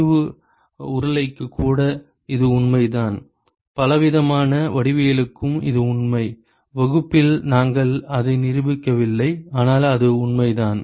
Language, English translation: Tamil, It is true even for a concentric cylinder, it is true for many different geometries, we did not prove it in the class, but it is true